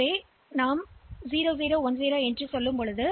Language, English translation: Tamil, So, this is 0 0 1 0